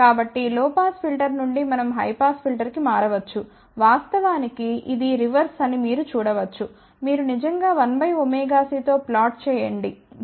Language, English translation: Telugu, So, from low pass filter we can just shift to the high pass filter, you can see that it is a reverse of that in fact, you can actually think about plotting as 1 by omega c